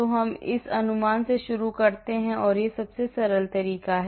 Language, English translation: Hindi, So, we start from this approximation this is simplest method